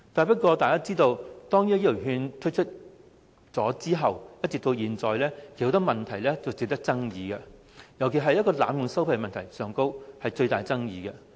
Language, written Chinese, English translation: Cantonese, 不過，大家都知道，自醫療券推出後，至今一直有很多問題及爭議，尤其是濫用收費的問題，具最大爭議。, However as we all know since the introduction of health care vouchers there have been many problems and contentious issues especially the abuse of vouchers in making exorbitant medical payments which is the most contentious of all